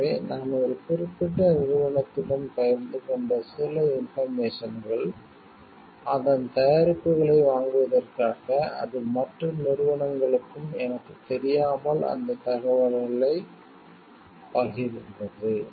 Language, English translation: Tamil, So, some information that maybe I have shared with a particular company, for buying its products it is sharing that information without my knowledge to other companies also